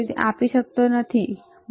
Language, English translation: Gujarati, It cannot give, right